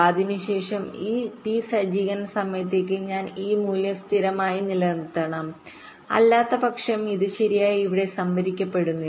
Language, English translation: Malayalam, after that i must keep this value stable, minimum for this t setup amount of time, otherwise it not getting stored properly here